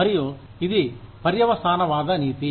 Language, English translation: Telugu, And, it is a consequentialist ethic